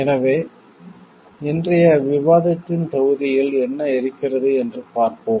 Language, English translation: Tamil, So, let us see what is there in the module of today s discussion